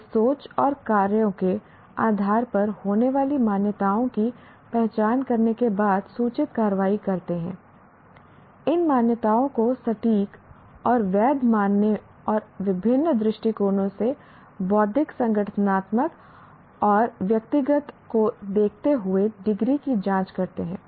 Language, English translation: Hindi, They take informed actions after identifying the assumptions that frame our thinking and actions, checking out the degree to which these assumptions are accurate and valid and looking at our ideas and decisions, intellectual, organization and personal from different perspective